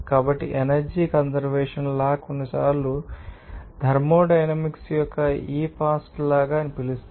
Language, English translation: Telugu, So, energy conservation law is sometimes called this past law of thermodynamics